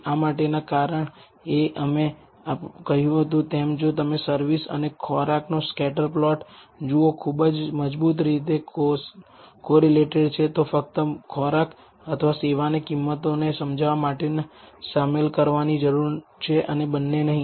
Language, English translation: Gujarati, The rea son for this as we said if you look at the scatter plot service and food are very strongly correlated therefore, only either food or service needs to be included in order to explain price and not both right